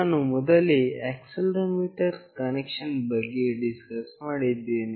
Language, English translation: Kannada, I have already discussed about the accelerometer connection